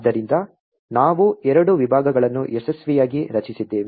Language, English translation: Kannada, So, we have successfully created the two partitions